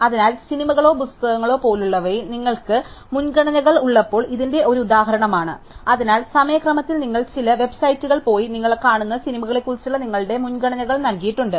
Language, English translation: Malayalam, So, one instance of this is when you have preferences over things like movies or books, so suppose over the sequence of time, you have gone to some website and entered your preferences about movies that you watch